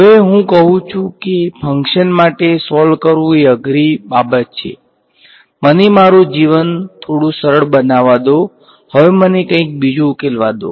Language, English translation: Gujarati, Now I say that solving for a function is a difficult thing; let me make my life a little simpler let me now solve for something else